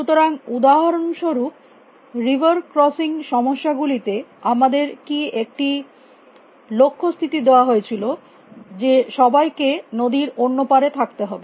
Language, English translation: Bengali, So, for example, in the river crossing problems we had given a goal state that everybody must be on the other side of the river